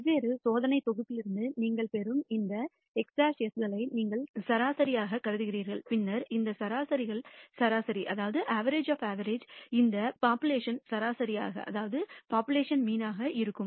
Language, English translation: Tamil, And you average all these x bars that you get from different experimental sets, then the average of these averages will tend to this population mean